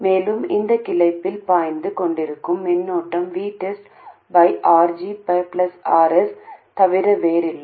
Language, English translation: Tamil, And the current that is flowing up in this branch is nothing but V test by RG plus RS